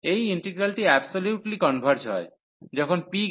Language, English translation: Bengali, This integral converges absolutely, when p is greater than 1